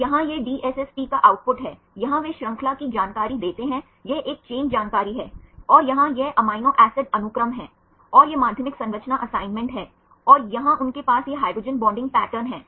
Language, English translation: Hindi, So, here this is the output of the DSSP, here they give the chain information this is a chain information and here this is the amino acid sequence, and this is the secondary structure assignment, and here they have this hydrogen bonding patterns